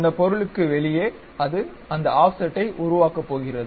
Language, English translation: Tamil, So, outside of that it is going to construct that offset